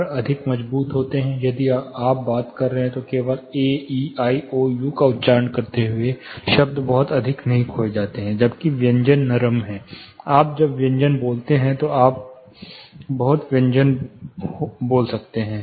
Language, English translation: Hindi, Vowels are more strong if you are talking, just pronouncing A E I O U the words they know, the syllables are not lost much whereas, consonants are more softer, you will incur lot of losses, when you spell consonants